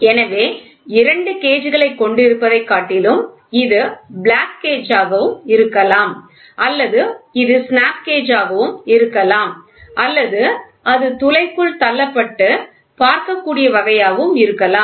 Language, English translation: Tamil, So, rather than having two gauges it can be plug gauge or it can be snap gauge or it can be plunging type which can just push inside the hole and see